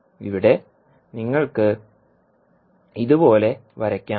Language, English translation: Malayalam, You can draw like this